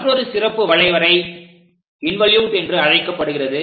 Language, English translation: Tamil, The other form of special curve is called involute